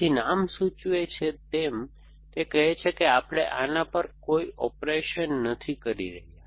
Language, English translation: Gujarati, So, as a name suggest, it says that no operation we are doing on this predicate